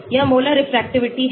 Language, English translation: Hindi, this is Molar Refractivity